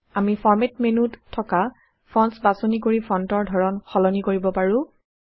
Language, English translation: Assamese, We can change the font style by choosing Fonts under the Format menu